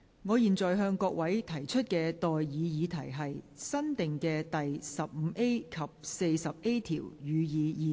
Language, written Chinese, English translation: Cantonese, 我現在向各位提出的待議議題是：新訂的第 15A 及 40A 條，予以二讀。, I now propose the question to you and that is That new clauses 15A and 40A be read the Second time